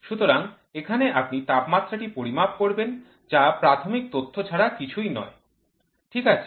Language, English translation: Bengali, So, here you will measure the temperature which is nothing but the primary data, ok